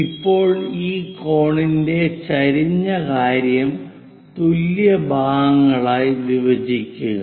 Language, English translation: Malayalam, Now divide this cone slant thing into equal number of parts